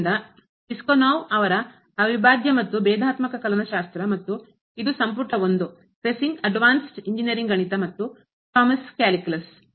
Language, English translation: Kannada, So, the integral a Differential and Integral calculus by Piskunov and this is Volume 1; the Kreyszig Advanced Engineering Mathematics and also the Thomas’ Calculus